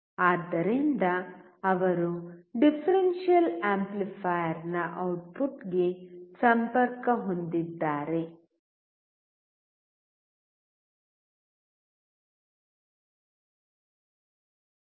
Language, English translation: Kannada, So he is connecting to the output of the differential amplifier